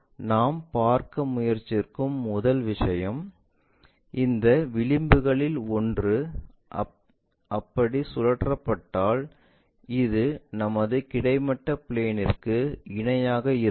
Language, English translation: Tamil, The first one what we are trying to look at is in case one of these edges are rotated in such a way that that will be parallel to our horizontal plane so this one